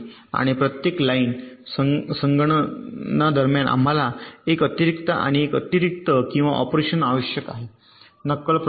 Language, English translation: Marathi, and every line computation we needed one additional and and one additional or operation during the simulation processing